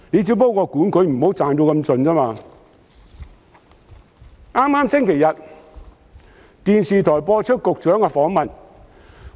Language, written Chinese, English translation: Cantonese, 在剛過去的星期天，電視台播出局長的訪問。, Last Sunday the Secretarys interview was aired on television